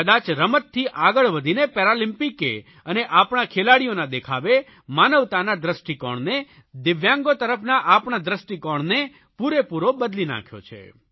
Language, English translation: Gujarati, Perhaps going beyond sporting achievements, these Paralympics and the performance by our athletes have transformed our attitude towards humanity, towards speciallyabled, DIVYANG people